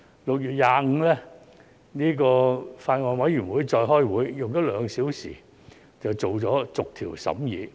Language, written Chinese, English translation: Cantonese, 6月25日，法案委員會再次開會，花了兩小時便完成逐項審議。, On 25 June the Bills Committee held another meeting and spent only two hours to complete the clause - by - clause examination